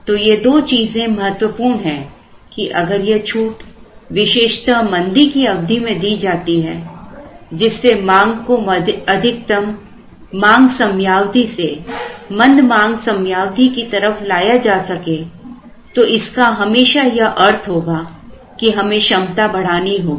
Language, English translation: Hindi, So, these two things are important, so if the discount is given particularly during the lean period so that the demand can be brought forward from the peak to the lean the peak would always mean that we have to increase the capacity